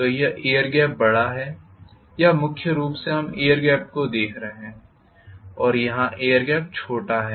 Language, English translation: Hindi, So this is air gap is large or primarily we are looking at the air gap, here the air gap is small